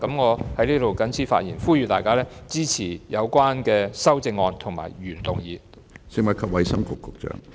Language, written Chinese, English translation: Cantonese, 我謹此發言，呼籲大家支持有關的修正案及原議案。, With these remarks I implore our colleagues to support the relevant amendments and the original motion